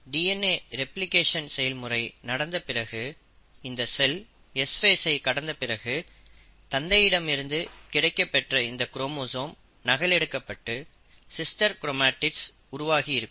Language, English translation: Tamil, Now after the process of DNA replication has happened, the cell has undergone the S phase, this chromosome that we had received from our father got duplicated and you had the sister chromatid form which is now attached with the centromere